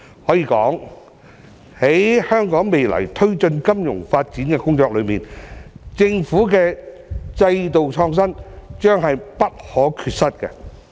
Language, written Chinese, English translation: Cantonese, 可以說，在香港未來推進金融發展工作中，政府的制度創新將是不可缺失。, It can be said that institutional innovation on the part of the Government will be indispensable in the future promotion of financial development in Hong Kong